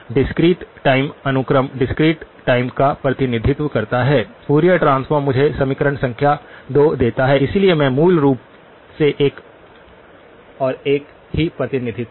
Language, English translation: Hindi, The discrete time sequence represented by the discrete time Fourier transform gives me equation number 2, so they are basically one and the same representation